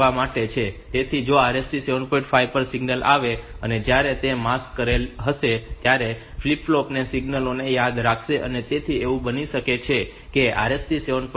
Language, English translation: Gujarati, 5 arrives where while it is masked a flip flop will remain remember the signals, so it might be that say RST 7